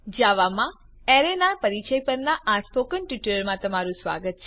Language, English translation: Gujarati, Welcome to the spoken tutorial on Introduction to Arrays